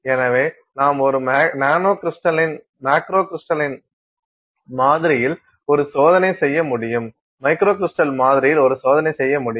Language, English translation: Tamil, So, I can do a test on a macrocrystalline sample; I can do a test on a microcrystal sample